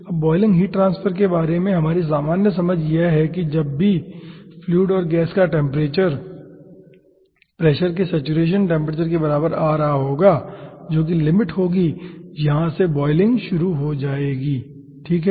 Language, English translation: Hindi, boiling heat transfer is that whenever the temperature of the fluid and gas will be coming equivalent to the saturation temperature of pressure, that will be the ah limit